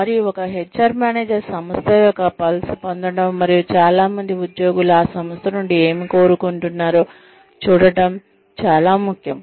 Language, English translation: Telugu, And, it is very important for an HR manager, to get a pulse of the organization, and to see, what most employees are looking for, from that organization